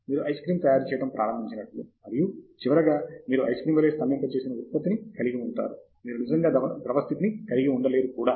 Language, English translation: Telugu, It’s like you start off making ice cream, and finally, you have a frozen product as an ice cream, you cannot really have a liquid state also